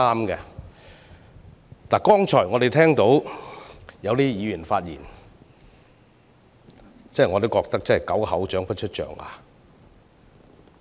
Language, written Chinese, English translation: Cantonese, 我們剛才聽到一些議員的發言，可謂"狗口長不出象牙"。, We have heard the speeches of some Members just now and it seems that we can hardly expect a decent word from their filthy mouth